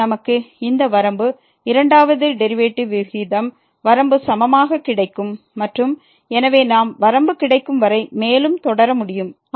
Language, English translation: Tamil, And, then we will get this limit is equal to the limit of the ratio of the second derivatives and so on we can continue further till we get the limit